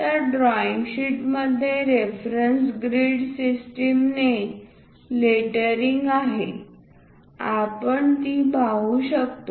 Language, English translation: Marathi, So, the drawing sheet with lettering the reference grid systems which we can see it